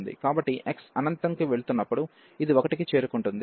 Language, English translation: Telugu, So, as x goes to infinity, this will approach to 1